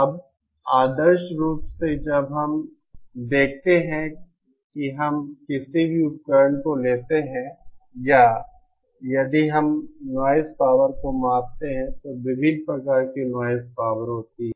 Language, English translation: Hindi, Now, ideally what we see when we take any device or if we measure the noise power, then there are various kinds of noise power